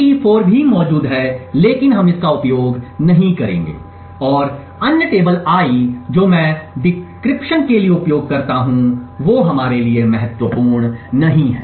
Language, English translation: Hindi, So, Te4 is also present but we will not be using this and the other tables I use for decryption which is not going to be important for us